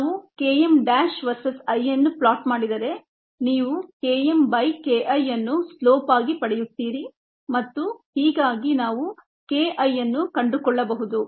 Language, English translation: Kannada, if we plot k m dash versus i, you would get the slope as k m by k i and thus we could find k i the